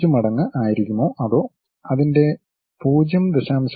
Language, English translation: Malayalam, 5 times of u 1, whether 0